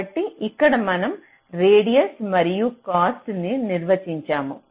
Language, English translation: Telugu, ok, so here we are defining radius and cost